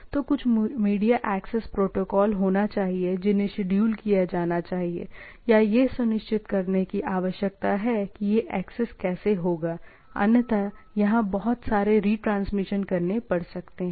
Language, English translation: Hindi, So, there should be some media access protocol need to be scheduled or need to be ensured that how this access will be there, otherwise what will happen there should be lot of retransmission